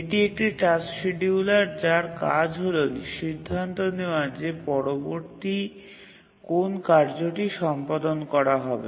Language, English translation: Bengali, So, it is the task scheduler whose role is to decide which task to be executed next